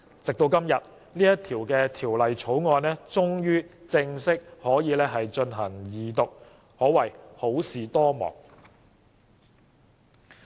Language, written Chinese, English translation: Cantonese, 直至今天，《條例草案》終於可以正式進行二讀，可謂好事多磨。, Today the Bill can finally be read the Second time . It can be said that the Bill is preceded by trials and tribulations